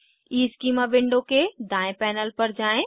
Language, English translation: Hindi, Go to right panel of EESchema window